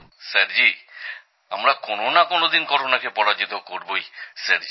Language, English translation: Bengali, Sir, one day or the other, we shall certainly defeat Corona